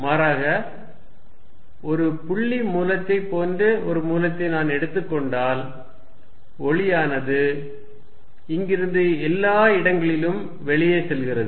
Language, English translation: Tamil, But, on the other hand, if I take a source of like a point source of light and light is going out from here all around